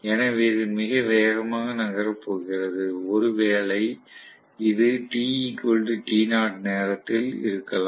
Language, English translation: Tamil, So it is going to move soo fast that, maybe this was at time t equal to t naught